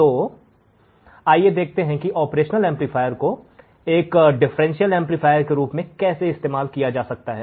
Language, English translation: Hindi, So, let us see how the operational amplifier can be used as a differential amplifier